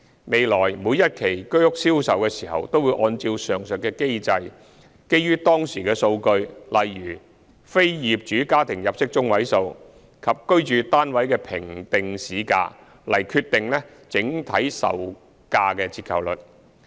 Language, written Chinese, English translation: Cantonese, 未來每一期居屋銷售的時候都會按照上述機制，基於當時的數據，例如非業主家庭入息中位數，以及居屋單位的評定市價，來決定整體售價折扣率。, In the future when each phase of HOS flats is put on sale the overall discount on the selling prices will be determined under the aforesaid mechanism which takes into account prevailing data such as the median income of non - owner occupier households and the assessed market values of HOS flats